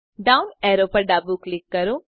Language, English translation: Gujarati, Left click the down arrow